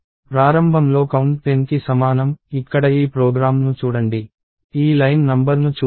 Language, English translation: Telugu, So, initially count equals 10, so look at this program here, so let us look at this line number